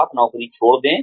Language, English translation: Hindi, You leave a job